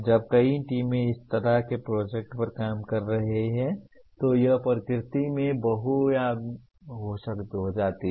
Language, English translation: Hindi, When multiple teams are working on such a project it becomes multidisciplinary in nature